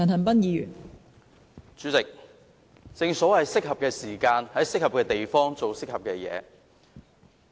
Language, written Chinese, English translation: Cantonese, 代理主席，正所謂在適合的時間、適合的地方做適合的事情。, Deputy President there is this saying of Doing the right thing at the right time and at the right place